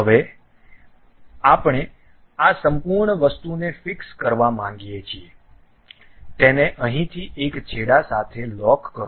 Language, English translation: Gujarati, Now, we want to really fix this entire thing, lock it from here to one of the end